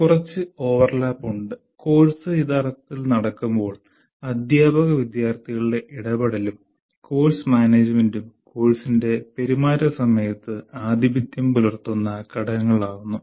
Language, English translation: Malayalam, And then once the course actually is in operation, teacher student interaction and course management are the two components which become dominant during the conduct of the course